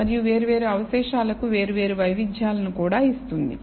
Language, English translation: Telugu, And also, imparts different variants to different residuals